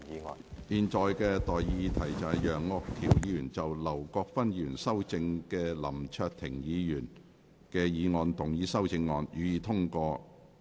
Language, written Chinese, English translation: Cantonese, 我現在向各位提出的待議議題是：楊岳橋議員就經劉國勳議員修正的林卓廷議員議案動議的修正案，予以通過。, I now propose the question to you and that is That the amendment moved by Mr Alvin YEUNG to Mr LAM Cheuk - tings motion as amended by Mr LAU Kwok - fan be passed